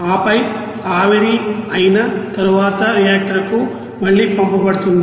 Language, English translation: Telugu, And then it will be send to again to the reactor after vaporizing